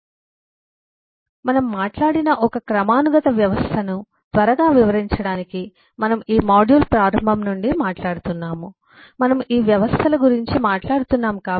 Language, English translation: Telugu, so just to quickly illustrate a hierarchical system, we have talked, we have been talking from the beginning of this module, we have been talking about this systems